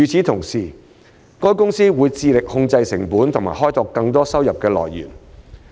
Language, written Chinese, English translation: Cantonese, 同時，海洋公園公司會致力控制成本及開拓更多收入來源。, Meanwhile OPC is striving to control cost and open up more sources of revenue